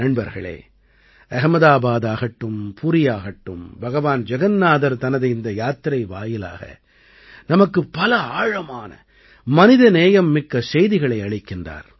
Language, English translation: Tamil, Friends, be it Ahmedabad or Puri, Lord Jagannath also gives us many deep human messages through this journey